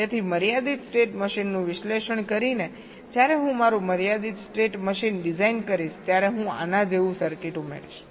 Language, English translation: Gujarati, so by analyzing a finite state machine, the well, when i design my finite state machine, i will be adding a circuit like this